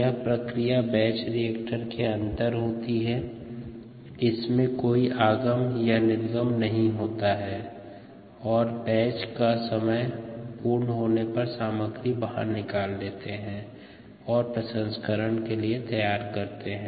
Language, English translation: Hindi, the process takes place inside the batch reactor with no addition or removal and at the end of the batch time you take the contents out and go for processing